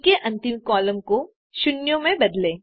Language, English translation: Hindi, Change the last column of C to zeros